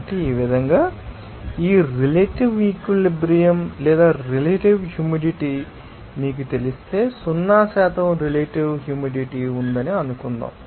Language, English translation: Telugu, So, in this way, this relative saturation or relative humidity can be you know obtain if suppose, there is zero percent relative humidity